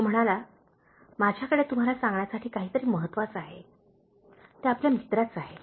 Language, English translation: Marathi, He said, I’ve something important to tell you, “It’s about your friend